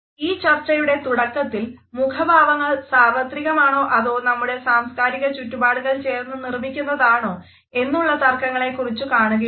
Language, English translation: Malayalam, In the beginning of this discussion we had looked at how there had been some debate whether the expression on our face is universal or is it determined by our cultural backgrounds